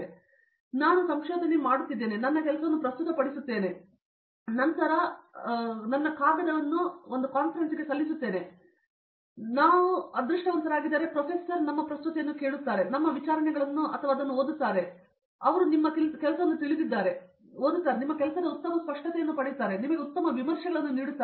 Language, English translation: Kannada, Once I go to a research, I present my work and later I submit a paper, when professor if we are lucky he listened to your presentation or read your proceedings or something like that; he reads or the he knows your work and he reads it he will get a better clarity of your work and give you better reviews